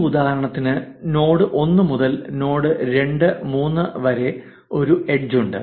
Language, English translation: Malayalam, In this example, there is an edge from node 1 to node 2 and 3